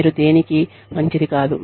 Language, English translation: Telugu, You are good for nothing